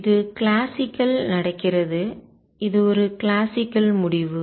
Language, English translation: Tamil, And this happens classical, this is a classical result